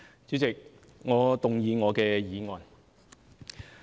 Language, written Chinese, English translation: Cantonese, 主席，我動議我的議案。, President I move that my motion be passed